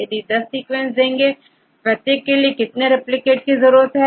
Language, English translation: Hindi, We gave here 10 sequences, how many replicates you need to get for each sequence